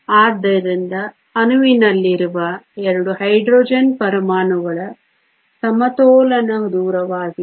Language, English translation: Kannada, So, is the equilibrium distance for the 2 Hydrogen atoms in the molecule